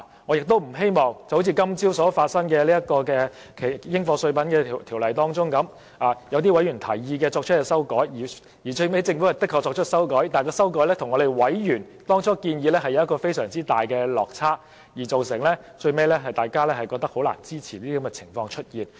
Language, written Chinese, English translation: Cantonese, 我亦不希望發生好像今早討論的《2017年應課稅品條例草案》般，委員就該法案建議作出修訂，政府亦確實作出修訂，但最後修正案的內容卻與委員最初的建議有極大落差，令大家最終感到難以支持。, I also hope that the problem relating to the Dutiable Commodities Amendment Bill 2017 which was discussed this morning should not recur . Though the Government had in response to members suggestion made amendments to the said Bill the contents of the final amendment turned out to be very much different from what the members had suggested . In the end Members found it hard to give support